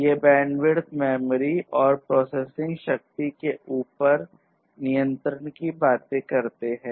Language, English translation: Hindi, So, these talks about the control over the network bandwidth memory and processing power